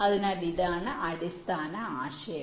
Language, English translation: Malayalam, so this is the basic idea